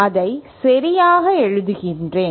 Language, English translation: Tamil, Let me write it properly